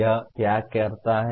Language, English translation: Hindi, What does it do